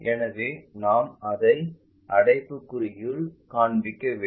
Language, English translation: Tamil, So, that is the reason we show it in parenthesis